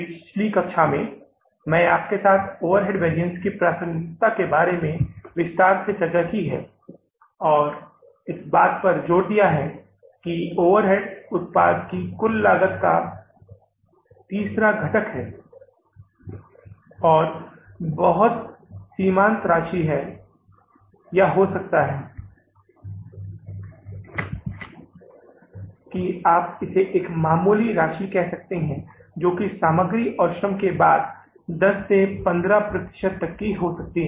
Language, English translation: Hindi, In the previous class I discussed with you the relevance of the overhead variances in detail and emphasized upon that overhead being the third component of the cost, of the total cost of the product and having a very marginal amount or maybe you can call it as a nominal amount which may be somewhere ranging from 10 to 15% after the material and labour